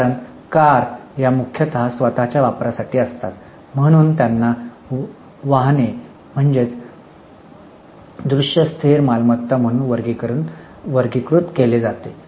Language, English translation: Marathi, Cars are meant for own use so they are classified as vehicles and put it as tangible fixed assets